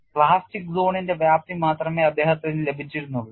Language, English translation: Malayalam, He had only got the extent of plastic zone